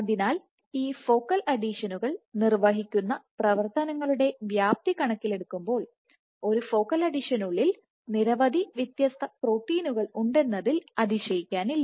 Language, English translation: Malayalam, So, it is perhaps not surprising that given the gamut of functions that these focal adhesions perform, that there are so many different proteins present within a focal adhesion